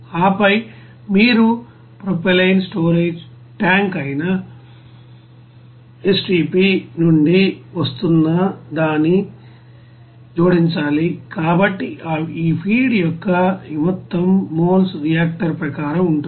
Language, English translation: Telugu, And then you have to add that what is coming from the you know STP that is propylene storage tank, so this total moles of this you know feed will be as per reactor